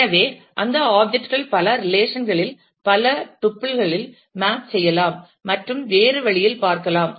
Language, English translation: Tamil, So, that objects can map to multiple tuples, in multiple relations and can be viewed in a different way